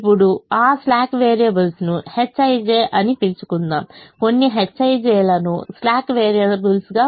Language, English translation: Telugu, now let that slack variable be called h i j, let some h i j be the slack variable